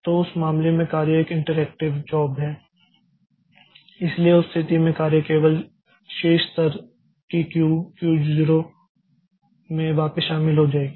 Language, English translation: Hindi, So, in that case the job is an interactive job so that in that case the job will be joining back the Q the top level Q0 only